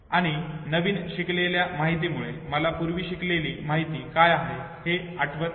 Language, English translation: Marathi, And the newly learned information does not allow me to recollect what I had already memorized in the past